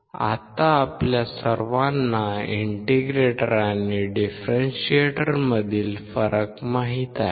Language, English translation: Marathi, Now we all know the difference in the integrator and differentiator